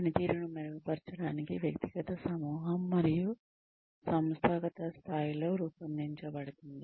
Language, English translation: Telugu, Designed to improve performance, at the individual group, and/or organizational levels